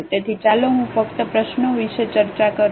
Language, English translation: Gujarati, So, let me just discuss the problem